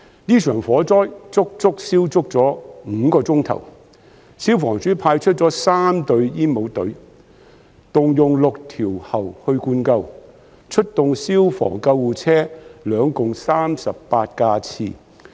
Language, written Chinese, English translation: Cantonese, 這場火災足足持續了5小時，消防處派出了3隊煙帽隊，動用6條喉灌救，並出動消防車和救護車共38架次。, For this fire which lasted five hours the Fire Services Department sent three breathing apparatus teams and used six fire hoses to put it out . Also a total of 38 fire engines and ambulances were deployed